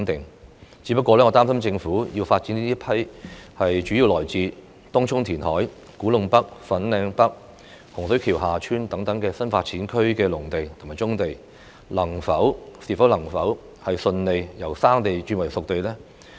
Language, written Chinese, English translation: Cantonese, 我只是擔心，政府在發展這批主要來自東涌填海、古洞北/粉嶺北、洪水橋/厦村等新發展區的農地和棕地之時，能否順利把它們由"生地"變成"熟地"呢？, However the land that the Government is going to develop mainly comes from reclamation in Tung Chung the agricultural land and brownfield sites in New Development Areas such as Kwu Tung NorthFanling North and Hung Shui KiuHa Tsuen